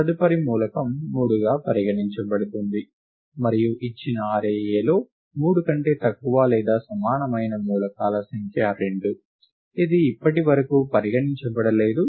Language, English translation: Telugu, Next element considered as 3; and the number of elements less than or equal to 3 in the given array A, which have not been considered so far is 2